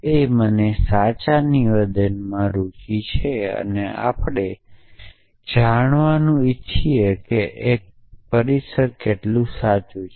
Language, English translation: Gujarati, And we I interested in true statement we want to know what is true even some premises not else is true